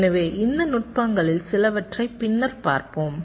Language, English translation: Tamil, so we shall see some of these techniques later